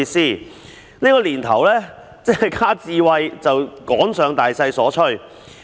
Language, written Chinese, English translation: Cantonese, 在這個年頭，一旦加上"智慧"二字，就是趕上大趨勢。, Nowadays once the word smart is added we would have jumped onto the bandwagon of the general trend